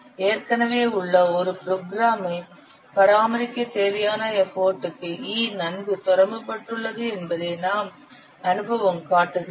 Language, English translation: Tamil, The experience show that E is well correlated to the effort which is needed for maintenance of an existing program